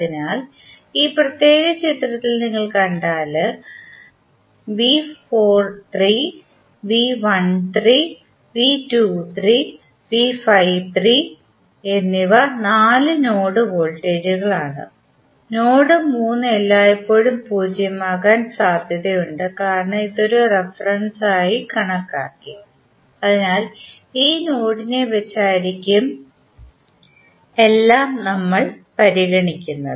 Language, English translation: Malayalam, So, if you see in this particular figure V 43, V 13, V 23 and V 53 are the four node voltages, node 3 will always be at zero potential because we considered it as a reference, so with respect to this node all would be considered